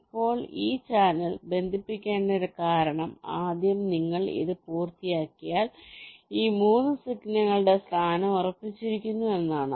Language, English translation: Malayalam, fine, now the reason why this channel has to be connected first is that once you complete this, the position of these three signals are fixed